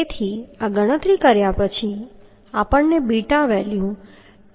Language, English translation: Gujarati, 7 and our calculated beta has 1